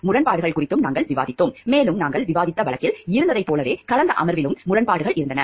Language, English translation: Tamil, We also discussed about the conflicts of interest and here we find like the in the case that we discussed, there were also in the last session there were conflicts of interest